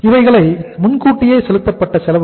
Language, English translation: Tamil, These are the prepaid expenses